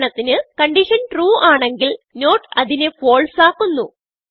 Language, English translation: Malayalam, If the given condition is true, not makes it false